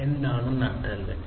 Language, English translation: Malayalam, What is the backbone